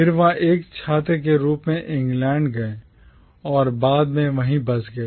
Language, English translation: Hindi, He then went to England as a student and subsequently settled down there